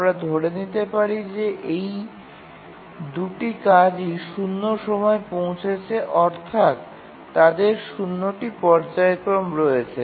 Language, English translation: Bengali, Let's assume that both of these arrive at time zero, that is they have zero phasing